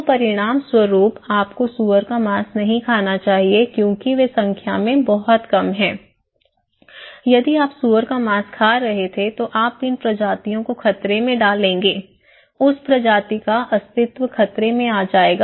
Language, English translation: Hindi, So, as a result, you should not eat pork because they are very less in number so, if you were eating pork, you will endanger these species; the existence of that species